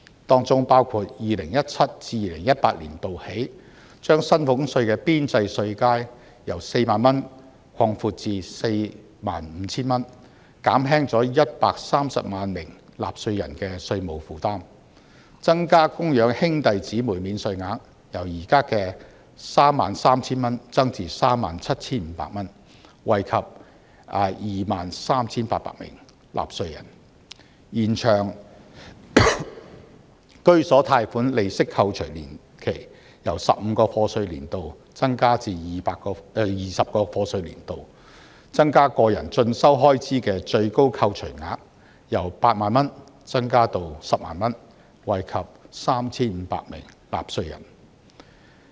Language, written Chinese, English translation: Cantonese, 當中包括 2017-2018 年度起，把薪俸稅的邊際稅階由 40,000 元擴闊至 45,000 元，減輕了130萬名納稅人的稅務負擔；增加供養兄弟姊妹免稅額，由現時 33,000 元增至 37,500 元，惠及 23,800 名納稅人；延長居所貸款利息扣除年期，由15個課稅年度增至20個課稅年度；增加個人進修開支的最高扣除額由8萬元增至10萬元，惠及 3,500 名納稅人。, Those measures implemented since 2017 - 2018 include expanding marginal tax bands from 40,000 to 45,000 to alleviate the tax burden of 1.3 million of taxpayers increasing the dependent brother or dependent sister allowance from 33,000 to 37,500 to benefit 23 800 taxpayers extending the entitlement period for home loan interest deduction from 15 to 20 years of assessment and raising the deduction ceiling for self - education expenses from 80,000 to 100,000 to benefit 3 500 taxpayers